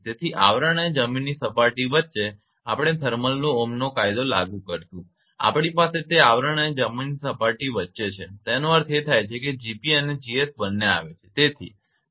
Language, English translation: Gujarati, So, applying thermal ohms law between sheath and the ground surface we have it is between the sheath and the ground surface means both G p and G s both are coming right